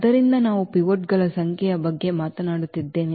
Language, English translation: Kannada, So, we are talking about the number of pivots